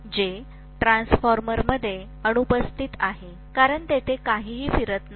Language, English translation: Marathi, Whereas, that is absent in a transformer, because there is nothing rotating there